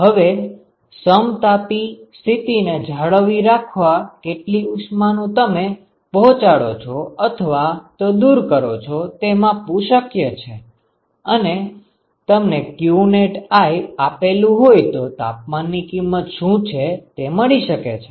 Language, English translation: Gujarati, Now that is possible to measure because if you know how much heat you are supplying or removing in order to maintain an isothermal condition and that is what will give you what qnet i, then given that what is the temperature